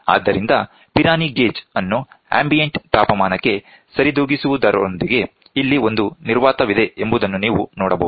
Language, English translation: Kannada, So, Pirani gauge with compensation to ambient temperature, you can see here a vacuum is there